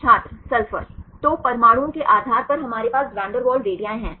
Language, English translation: Hindi, sulphur So, based on the atoms we have the van der Waals radii